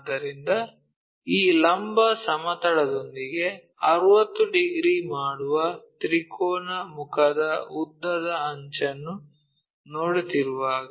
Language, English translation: Kannada, So, when we are seeing the longer edge of the triangular face that makes 60 degrees with this vertical plane